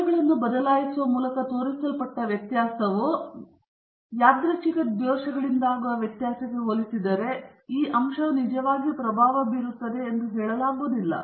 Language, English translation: Kannada, If the variability shown by changing the factors is comparable to the variability due to noise or random errors, then you cannot say that this factor is really making an impact